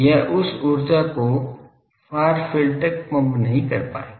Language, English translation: Hindi, It would not be able to pump that energy to the far field